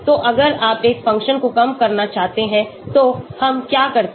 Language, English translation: Hindi, So if you want to minimize a function what do we do